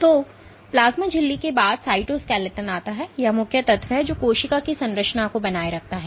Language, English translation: Hindi, So, and after plasma membrane comes the cytoskeleton, this is the main element which maintains the structure of the cell